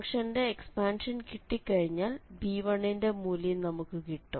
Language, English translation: Malayalam, Once we have the expansion we can get the b1 and once we have b1